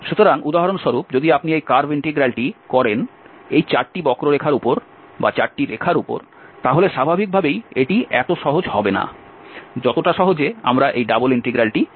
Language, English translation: Bengali, So, if you do this curve integral for instance, over these 4 curves 4 lines, then naturally it will not be as simple as we have computed this double integral